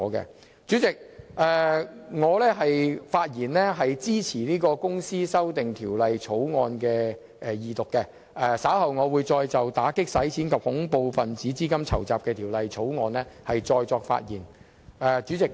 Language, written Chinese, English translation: Cantonese, 代理主席，我發言支持《條例草案》的二讀，稍後還會再就《2017年打擊洗錢及恐怖分子資金籌集條例草案》發言。, Deputy President I have just spoken in support of the Second Reading of the Bill and I will speak on the Anti - Money Laundering and Counter - Terrorist Financing Amendment Bill 2017 later on